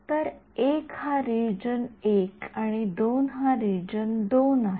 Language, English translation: Marathi, So, 1 is region 1 and 2 is region 2 ok